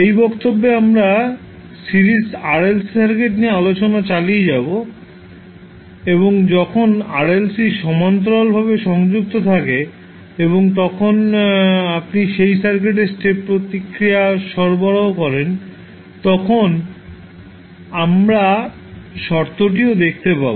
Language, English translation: Bengali, In this class we will continue a discussion on Series RLC Circuit and we will also see the condition when your RLC are connected in parallel and then you provide the step response to that circuit